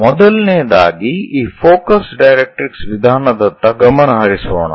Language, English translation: Kannada, First of all let us focus on this focus directrix method